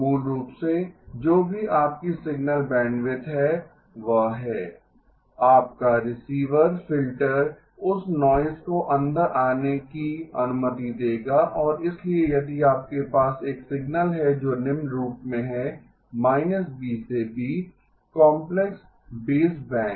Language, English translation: Hindi, Basically, whatever is your signal bandwidth that is the, your receive filter will allow that noise to come in and so if you have a signal that is of the following form; –B to B, complex baseband